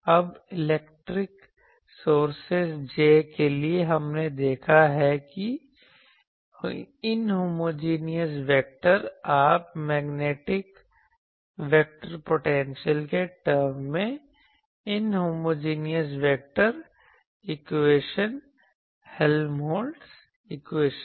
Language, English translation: Hindi, Now, for electric sources J, we have seen that the inhomogeneous vector homogeneous you know inhomogeneous vector Helmholtz equation in terms of magnetic vector potential, we have seen now